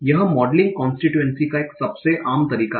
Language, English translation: Hindi, This is the most common way of modeling constituency